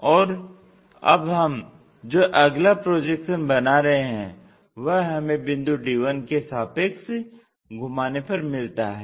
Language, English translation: Hindi, And the next projection what we are going to make is around the d 1 point, we want to rotate it